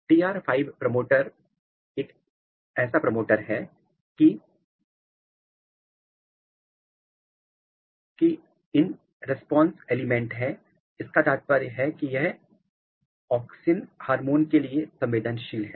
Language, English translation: Hindi, DR 5 promoter is a promoter which has auxin response element which means that it is responsive to auxin hormone